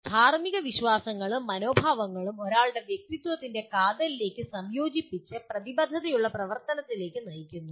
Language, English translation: Malayalam, And moral beliefs and attitudes are integrated into the core of one’s personality and lead to committed action